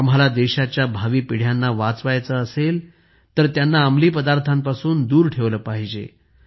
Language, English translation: Marathi, If we want to save the future generations of the country, we have to keep them away from drugs